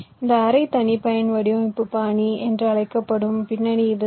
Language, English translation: Tamil, this is the concept behind this so called semi custom design style